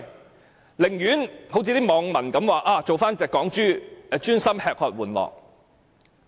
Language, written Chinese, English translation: Cantonese, 他們寧願做網民所說的"港豬"，專心吃喝玩樂。, They would rather be Hong Kong pigs as described by netizens caring only for feasting and having fun